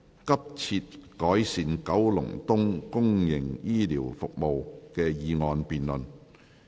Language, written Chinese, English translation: Cantonese, "急切改善九龍東公營醫療服務"的議案辯論。, The motion debate on Urgently improving public healthcare services in Kowloon East